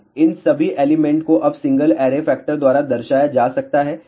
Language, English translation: Hindi, All of these elements now can be represented by single array factor